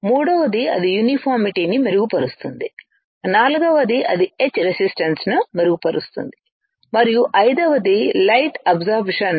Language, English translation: Telugu, Third is that it will improve the uniformity, fourth is that it will improve the etch resistance and fifth is it will optimize the light absorbance